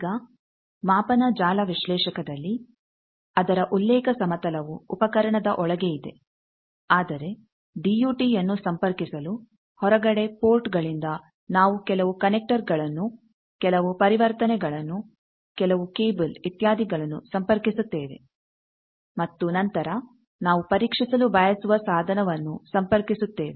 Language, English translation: Kannada, Now in the measurement network analyser its reference plane is quite inside the instrument that is not accessible to outside, but in outside to connect the DUT from the ports we connect some connectors, we connect some transition, we connect some cables etcetera and then the device that we want to test that is